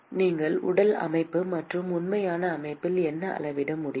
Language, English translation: Tamil, What is it that you can measure in physical system and actual system